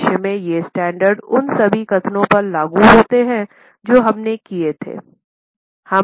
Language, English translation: Hindi, In future, these standards are applicable in all the statements which we made